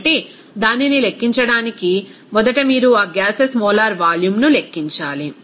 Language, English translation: Telugu, So, to calculate that, first of all you have to calculate molar volume of that gases